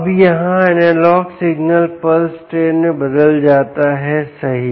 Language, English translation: Hindi, now the analogue signal here is converted to a pulse train